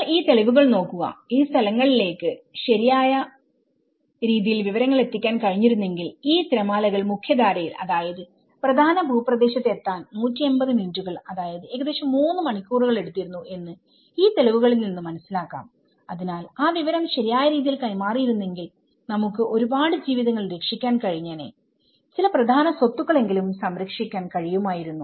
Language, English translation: Malayalam, But one has to look at it but if you look at the evidences if a correct information has been passed down to these places, it took 180 minutes which is about 3 hours to reach to get these waves into the mainstream, you know to the mainland, so if that information has been passed on the right way, we would have saved many lives, we would have at least saved some important assets